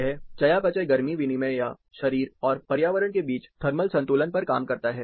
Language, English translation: Hindi, This works on the metabolic heat exchange or, the thermal equilibrium between the body and the environment